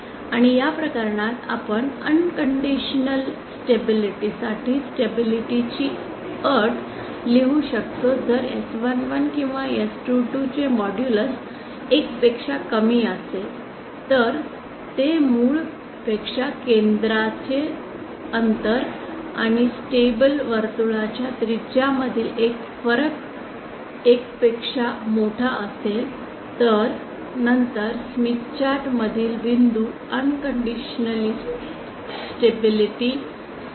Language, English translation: Marathi, And this case we can write the condition of stability condition for unconditional stability provided the modulus of s11 or s22 is lesser than 1, is that the difference between the distance of the center from the origin and the radius of the stability circle if that is greater than 1 then the points inside the smith chart are unconditionally stable